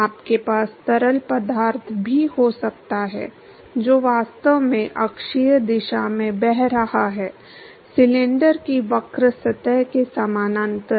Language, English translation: Hindi, You could also have fluid which is actually flowing in the axial direction, parallel to the curves surface of the cylinder